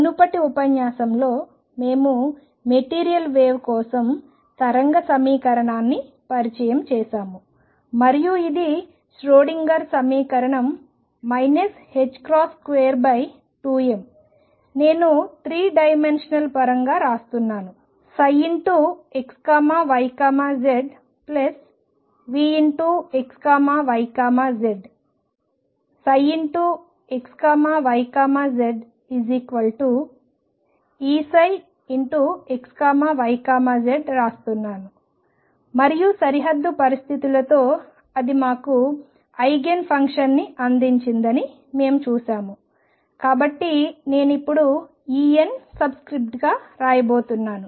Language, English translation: Telugu, In the previous lecture, we introduced the wave equation for material waves and this the Schrodinger equation which is minus h cross square over 2 m, I am writing the 3 dimensional origin psi x, y, z plus v x, y, z psi x, y, z equals E psi x, y, z and we saw that with the boundary conditions, it gave us Eigen function, so I am going to now put, E n as a subscript